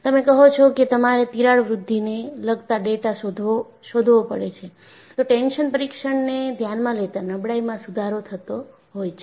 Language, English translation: Gujarati, Then you say that, you will have to find out even the data pertaining to crack growth, but considering the tension test, definitely fatigue was an improvement